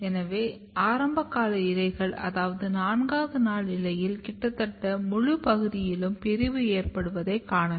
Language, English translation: Tamil, So, if you look at the very early leaf which is around 4 day old, you can see the division occurring almost entire region of the leaf